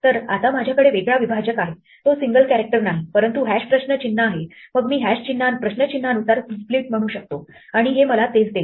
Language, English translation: Marathi, So now I have a different separator it's not a single character, but hash question mark then I can say split according to hash question mark and this will give me the same thing